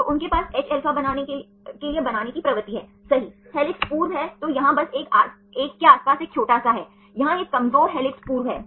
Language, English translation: Hindi, So, they have a tendency to form hα right to form the helix, there is helix formers then here just around one little bit around one, here this is weak helix former